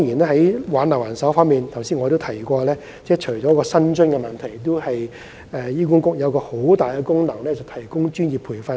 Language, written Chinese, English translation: Cantonese, 在挽留人手方面，我剛才提到，除了薪酬問題外，醫管局還有一個十分強大的功能，就是提供專業培訓。, Concerning the retention of manpower as I have mentioned apart from the issue of remuneration HA has a very powerful function of providing professional training